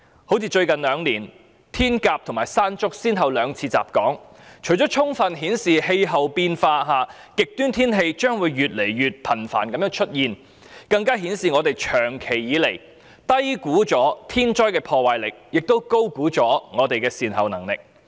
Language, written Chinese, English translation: Cantonese, 好像最近兩年，颱風"天鴿"及"山竹"先後兩次襲港，除了充分顯示極端天氣將會越來越頻繁外，更顯示本港長期以來低估天災的破壞力，亦高估我們的善後能力。, Concerning the successive onslaught of typhoons Hato and Mangkhut in Hong Kong in these two years apart from indicating that extreme weather will become more and more frequent the fact that Hong Kong has long been underestimating the damaging power of natural disasters while overestimating our competence in dealing with the aftermath has been fully exposed